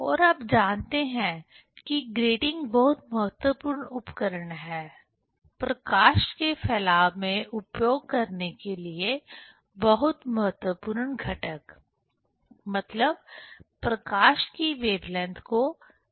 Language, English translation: Hindi, And you know that grating is very important tools, very important components to use for the dispersion of light, means to separate the wave length of the light